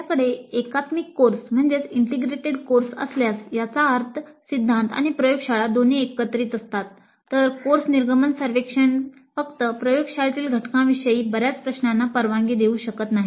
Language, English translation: Marathi, Now if we have an integrated course that means both theory and laboratory combined then the course exit survey may not allow too many questions regarding only the laboratory component